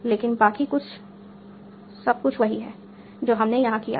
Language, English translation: Hindi, But everything else is the same that we did here